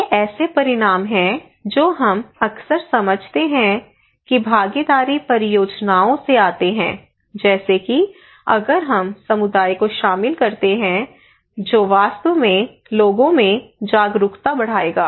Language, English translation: Hindi, These are outcomes that we often consider that comes from participatory projects like if we involve community that will actually increase peoples awareness